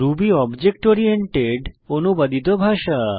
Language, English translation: Bengali, Ruby is an object oriented, interpreted scripting language